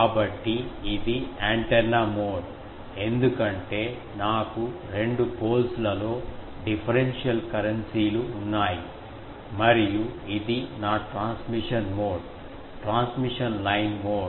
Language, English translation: Telugu, So, this is antenna mode because I have differential currencies in the two poles and this is my transmission mode, transmission line mode